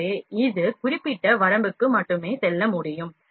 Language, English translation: Tamil, So, that can move up to the specific limit only